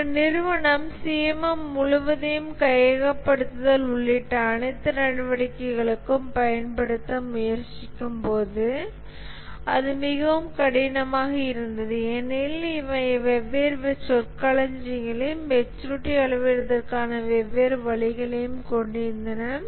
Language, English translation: Tamil, And when an organization tries to use CMM as a whole for all its activities including acquisition and so on, it was very hard because these had different terminologies and different ways of measuring the maturity